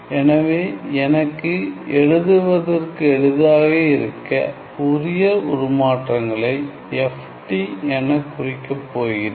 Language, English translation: Tamil, So, also let me for the ease of writing let me just denote my Fourier transforms as FT